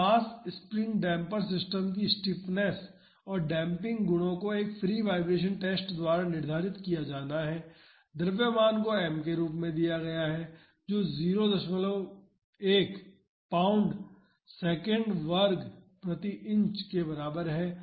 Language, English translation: Hindi, The stiffness and damping properties of a mass spring damper system are to be determined by a free vibration test; the mass is given as m is equal to 0